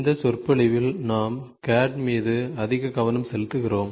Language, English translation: Tamil, We are more focused towards CAD in this lecture